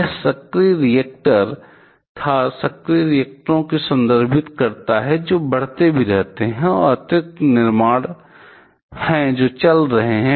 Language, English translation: Hindi, This was active reactors refers to active reactors which also kept on increasing, and there are additional construction that goes on